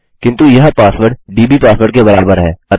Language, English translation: Hindi, But this password is equal dbpassword